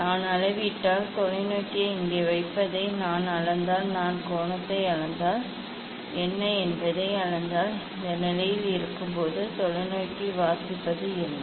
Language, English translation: Tamil, if I measure; if I measure putting the telescope here, if I measure the angle if I measure the what is the; what is the reading of the telescope when it is at this position